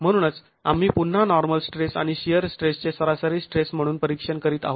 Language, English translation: Marathi, So, we are examining again the normal stress and the shear stress as average stresses